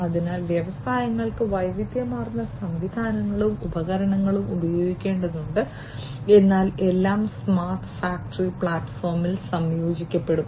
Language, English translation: Malayalam, So, industries will need to use diverse systems and equipment but everything will be integrated on the smart factory platform